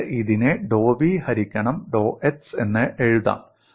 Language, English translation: Malayalam, I can simply write this as dou v by dou x